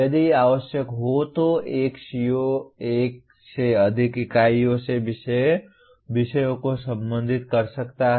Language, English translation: Hindi, A CO if necessary can address topics from more than one unit